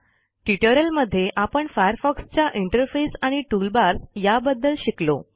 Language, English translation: Marathi, In this tutorial, we learnt aboutThe Firefox interface The toolbars Try this comprehensive assignment.